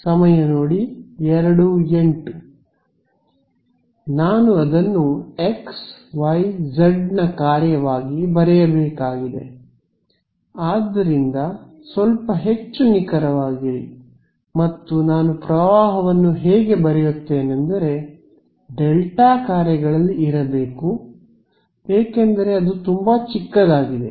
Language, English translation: Kannada, I have to write it as a function of xyz; so, be little bit more precise and how I write the current has to be there have to be delta functions because it is very very small right